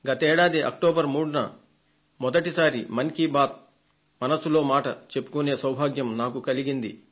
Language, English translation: Telugu, Last year on 3rd October I had an opportunity to conduct my first ever "Mann Ki Baat"